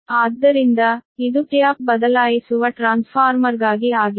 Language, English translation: Kannada, so this is for the tap changing transformer right now